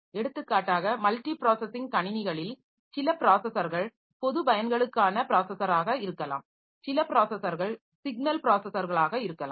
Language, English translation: Tamil, For example, in a multiprocessing system some of the processors may be general purpose processor, some of the processors may be signal processors